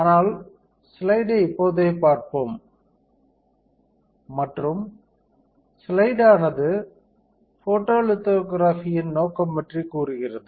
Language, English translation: Tamil, But right now let us see the slide and the slide says that the purpose of photolithography